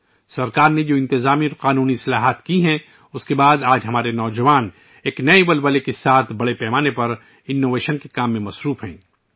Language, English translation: Urdu, After the administrative and legal reforms made by the government, today our youth are engaged in innovation on a large scale with renewed energy